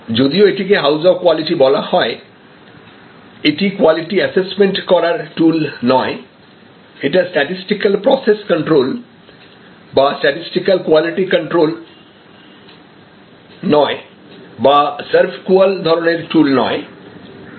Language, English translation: Bengali, So, even though, this is called house of quality, it actually is does not tell us, it is not a tool for quality assessment, it is not like statistical process control or statistical quality control or the serve call kind of tool, this is actually a design tool